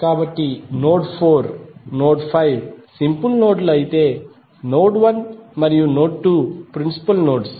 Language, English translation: Telugu, So node 4, node 5 are the simple nodes while node 1 and node 2 are principal nodes